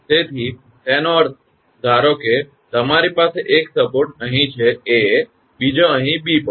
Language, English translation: Gujarati, So, that means; suppose you have one support is here A another is here at B